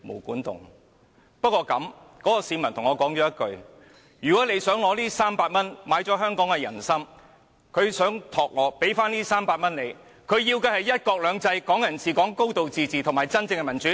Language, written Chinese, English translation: Cantonese, 不過，那位市民跟我說，如果"林鄭"你想用這300元來收買香港的"人心"，他想託付我把這300元還給你，他要的是"一國兩制"、"港人治港"、"高度自治"及真正的民主。, However the middle - class man told me that if you Carrie LAM intended to buy public support with this 300 he would like me to return it to you on his behalf . Instead he demands one country two systems Hong Kong people ruling Hong Kong a high degree of autonomy and genuine democracy